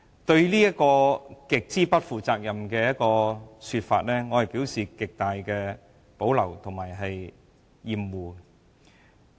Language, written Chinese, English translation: Cantonese, 對於這種極不負責任的說法，我表示極大的保留及厭惡。, I have great reservations about such an extremely irresponsible comment and find it most disgusting